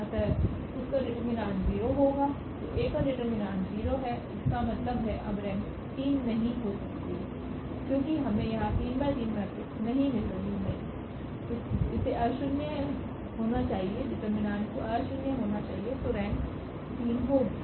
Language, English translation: Hindi, So, the determinant of A is 0; that means, now the rank cannot be 3 because we are not getting this 3 by 3 matrix, it should be nonzero the determinant should be nonzero then the rank will be 3 So, now the rank will be less than 3